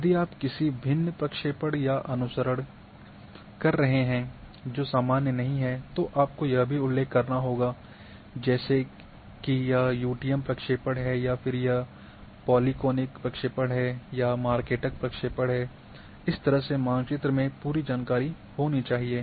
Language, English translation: Hindi, If you are following some different projection, which is not normal then you must also mention that this is in the UTM projection or polyconic projection marketer projection,that it is having complete information